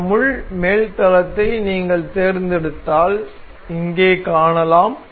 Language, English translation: Tamil, So, if you select the top plane for this pin here we can see